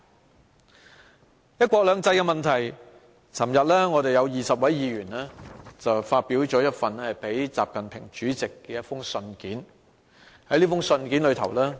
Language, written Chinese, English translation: Cantonese, 就"一國兩制"的問題，昨天有20位議員發表了一封致國家主席習近平的信。, On the issue of one country two systems yesterday 20 Members issued a letter to President Xi Jinping